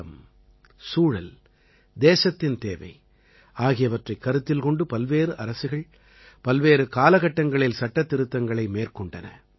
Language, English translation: Tamil, In consonance with the times, circumstances and requirements of the country, various Governments carried out Amendments at different times